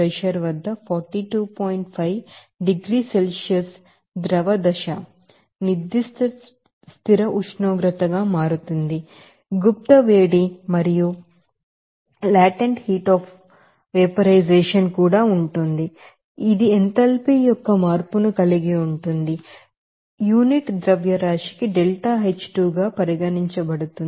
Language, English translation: Telugu, 5 degrees Celsius at one atmospheric pressure you will see there will be you know, latent heat change that will be change of enthalpy which is regarded as deltaH2 here hat per unit mass